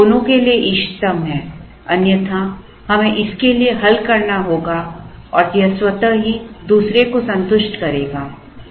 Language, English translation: Hindi, Then it is optimal to both, otherwise we have to solve for this and it will automatically satisfy the other one